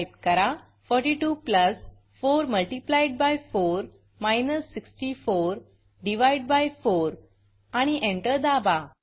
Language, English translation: Marathi, Type 42 plus 4 multiplied by 4 minus 64 divided 4 and press enter